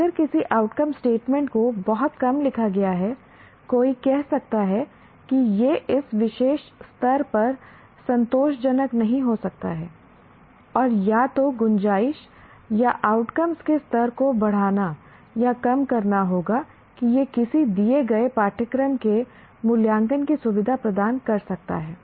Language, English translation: Hindi, If somebody has written very low end outcome statements, let us say, somebody can say, no, this may not be satisfactory at this particular level and the, either the scope or the level of outcome will have to be increased or decrease that one can, it can facilitate the evaluation of a given curriculum